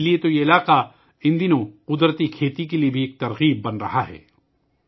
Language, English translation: Urdu, That is why this area, these days, is also becoming an inspiration for natural farming